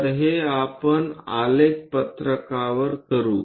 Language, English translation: Marathi, So, let us do that on the graph sheet